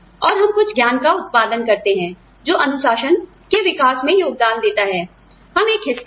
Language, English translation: Hindi, And, we produce some knowledge, that contributes to the evolution of the discipline, we are a part of